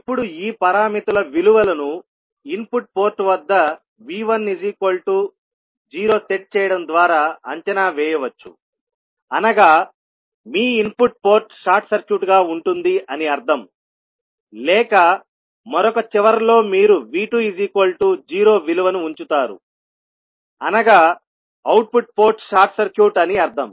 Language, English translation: Telugu, Now, the values of this parameters can be evaluated by setting V 1 equal to 0 at the input port means you will have the input port short circuited or at the other end you will put the value of V 2 equal to 0 means output port is short circuited